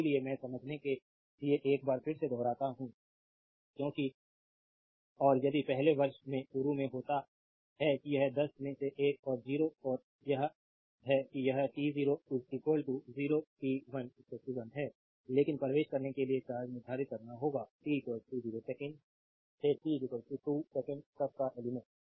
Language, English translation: Hindi, So, I repeat once again for your you know understanding because and if you start in the very first year that it is one in between 0 and one that is this is t 0 is equal to 0 t 1 is equal to 1, but you have to you have to determine the charge entering the element from t is equal to 0 second to t is equal to 2 second